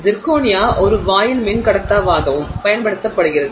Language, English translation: Tamil, Zirconia is also used as a gate dielectric